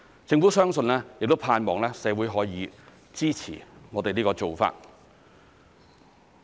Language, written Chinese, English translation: Cantonese, 政府相信亦盼望社會可以支持我們這個做法。, The Government believes and hopes that the community can support this arrangement of ours